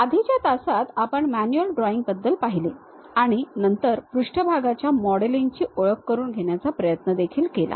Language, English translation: Marathi, In the earlier classes, we have covered manual drawing, and also then went ahead try to introduce about surface modeling